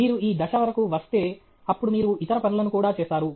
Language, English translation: Telugu, You come up to this stage, then you will do the other things also